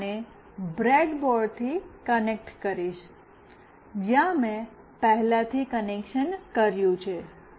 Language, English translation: Gujarati, I will be connecting this to the breadboard, where I have already made the connection